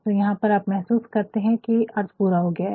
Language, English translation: Hindi, So, here we we feel that we the sense is completed